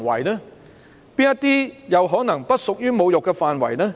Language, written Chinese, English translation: Cantonese, 哪些不屬於侮辱範圍？, Which of them do not fall under the scope of insult?